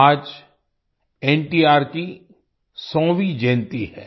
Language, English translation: Hindi, Today, is the 100th birth anniversary of NTR